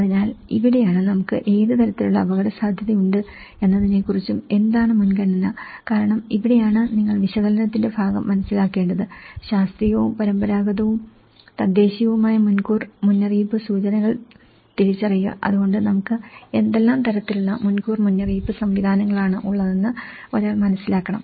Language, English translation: Malayalam, So, this is where, he talks about the what kind of degree of vulnerability we do have and what is the priorities because this is where you one has to understand the analysis part of it, identify the scientific and traditional or indigenous early warning indicators, so one has to understand that what kind of early warning systems we have, so that how we can inform these to the community